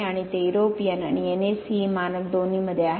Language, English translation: Marathi, And it is both in the European and the NACE Standard